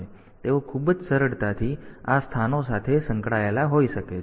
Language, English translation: Gujarati, So, they can be very easily put into associated with these locations